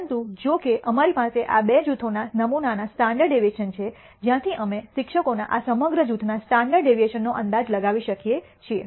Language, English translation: Gujarati, But, however, we have the sample standard deviations from these two groups from which we can estimate the standard deviation of this entire group of teachers